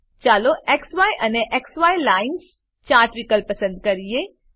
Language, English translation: Gujarati, Let us choose XY and XY Lines chart option